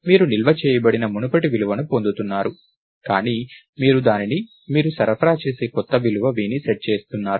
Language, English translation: Telugu, So, you are getting the previous value which is stored, but you are also setting it to the new value that you supply